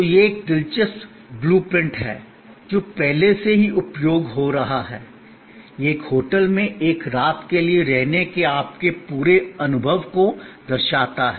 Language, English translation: Hindi, So, this is an interesting blue print that will get already used before, it shows your entire set of experience of staying for a night at a hotel